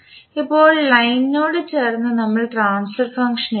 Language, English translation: Malayalam, Now adjacent to line we write the transfer function